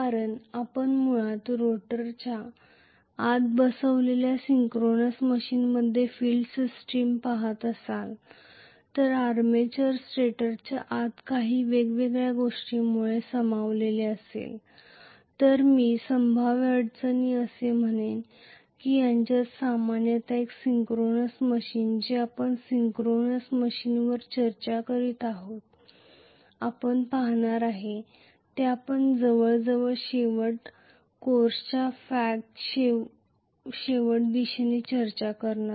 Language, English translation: Marathi, Because you are going to have basically if you look at the field system in a synchronous machine that is actually accommodated inside the rotor whereas the armature actually is accommodated inside the stator because of some various, I would say a potential constraints that are their normally in a synchronous machine which we will see when we are discussing synchronous machine that will be the last machine that we will be discussing at the end of almost towards the fag end of the course